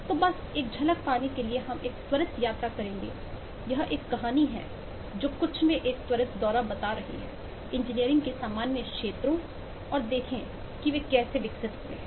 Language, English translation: Hindi, so just to take a glimpse, we will take a eh quick tour this is more of a story telling a quick tour into some of the common fields of engineering and see how they have evolved